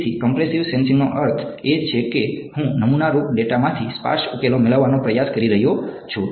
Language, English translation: Gujarati, So, compressive sensing means I am trying to get sparse solutions from under sampled data